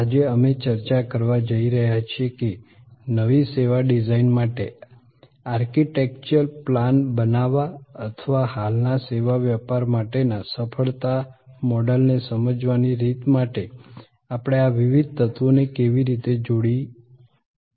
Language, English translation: Gujarati, Today, we are going to discuss, how do we combine these different elements to create an architectural plan for a new service design or a way of understanding the success model for an existing service business